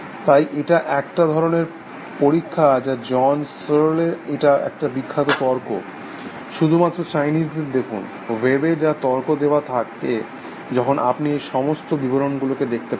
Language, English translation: Bengali, So, is an, it is a thought experiment which John Searle proposes, it is a very famous argument, just lookup the Chinese, whom argument on the web, when you will get all these descriptions